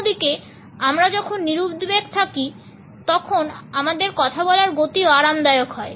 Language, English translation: Bengali, On the other hand, when we are relaxed our speed also becomes comfortable